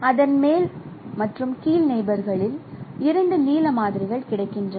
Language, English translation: Tamil, So, in its top and bottom neighbor, true blue samples are available